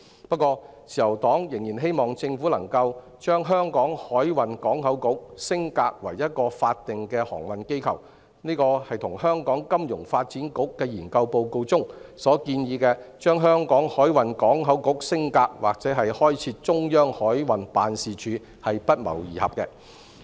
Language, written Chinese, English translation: Cantonese, 不過，自由黨仍然希望政府能夠把香港海運港口局升格為一個法定航運機構，這與香港金融發展局的研究報告提出把香港海運港口局升格或開設中央海運辦事處的建議不謀而合。, However the Liberal Party still hopes that the Government can upgrade the Hong Kong Maritime and Port Board into a statutory maritime body . This proposal by us happens to coincide with the recommendation of upgrading the Hong Kong Maritime and Port Board or creating a centralized Maritime Office made in the FSDC Paper